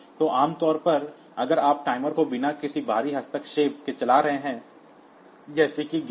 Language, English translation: Hindi, So, normally if you are running the timer without any external interference, like say gate